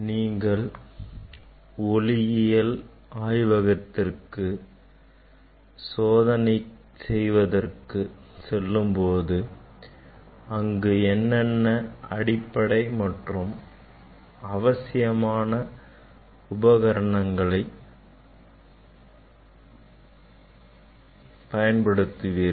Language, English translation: Tamil, If you go to optics lab for doing experiment, what are the common components, basic components we will use in optics lab